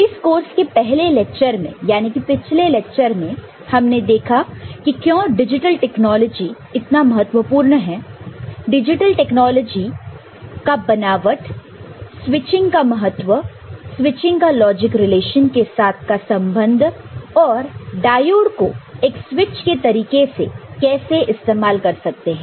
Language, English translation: Hindi, In lecture 1, that is in the previous lecture, we had seen why digital technology is important, what constitutes digital technology, the importance of switching, association of switching with logic relation and use of diode as a switch